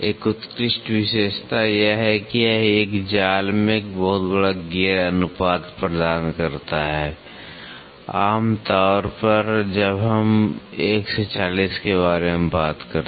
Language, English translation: Hindi, An outstanding feature is that it offer a very large gear ratio in a single mesh, generally when we talk about is 1 is to 40